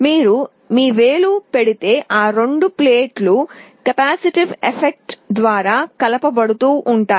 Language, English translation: Telugu, If you put your finger, these two plates will get a coupling via a capacitive effect